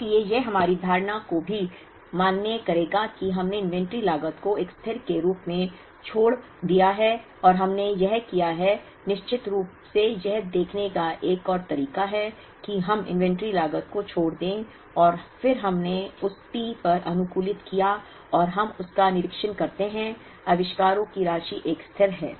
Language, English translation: Hindi, So, this would also validate our assumption that we left out the inventory cost as a constant and than we did this of course, another way of looking it is we left out the inventory cost, and then we optimized on that T and we observe that the sum of the inventories is a constant